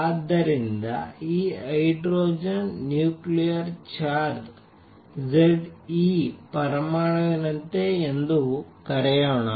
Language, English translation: Kannada, So, let me call this hydrogen like atom with nuclear charge z e